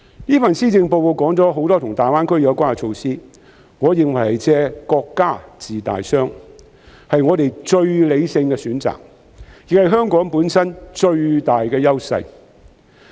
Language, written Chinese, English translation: Cantonese, 這份施政報告提到很多與大灣區有關的措施，我認為"借國家治大傷"是我們最理性的選擇，亦是香港本身最大的優勢。, This Policy Address has mentioned many initiatives related to the Greater Bay Area . In my view our most rational option is to leverage the resources of the strength of the country to heal our severe wounds thus capitalizing on the greatest edge of Hong Kong